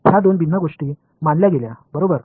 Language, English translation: Marathi, These were thought to be two different things right